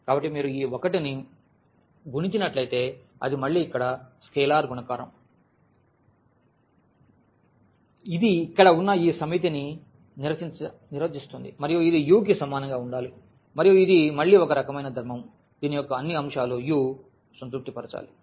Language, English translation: Telugu, So, this is again here the scalar multiplication which must be defined for each this set here and it must be equal to u and this is again kind of a property which all the elements of this u must satisfy